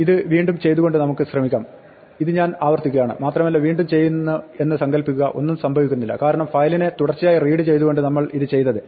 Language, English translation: Malayalam, Now, let us try and do this again, supposing I repeat this thing and now I do this again, now nothing happens the reason nothing happens is because we had this sequential reading of the file